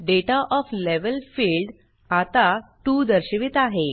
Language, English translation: Marathi, The Data of Level field now displays 2